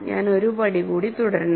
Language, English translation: Malayalam, So, I should continue one more step